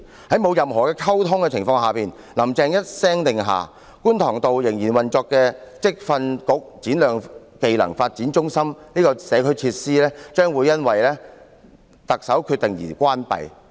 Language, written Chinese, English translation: Cantonese, 在沒有任何溝通的情況下，"林鄭"一聲令下，觀塘道仍然運作的職業訓練局展亮技能發展中心這項社區設施，將會因為特首的決定而關閉。, In the absence of any communication Carrie LAM issues a command under which the Shine Skills Centre Kwun Tong SSCKT of the Vocational Training Council VTC a community facility still operating at Kwun Tong Road will be closed